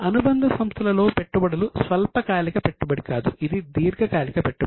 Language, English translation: Telugu, See, investment in subsidiary is not a short term investment